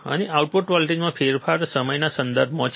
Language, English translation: Gujarati, And the change in output voltage is with respect to time